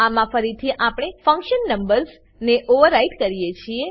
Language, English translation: Gujarati, In this, again, we override the function numbers